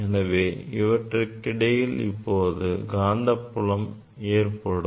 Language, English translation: Tamil, there will be magnetic field in between